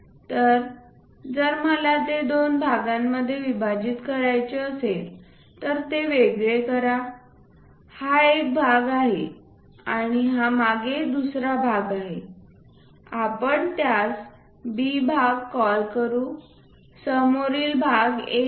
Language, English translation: Marathi, So, if I want to really cut it into two parts separate them out this is one part and the other part is this back one let us call B part, the front one is A